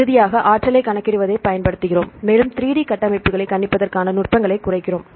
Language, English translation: Tamil, And finally, we use calculate the energy and we minimize the techniques to predict the 3D structures